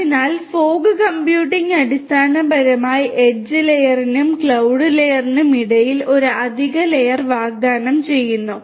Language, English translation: Malayalam, So, fog computing basically offers an added layer between the edge layer and the cloud layer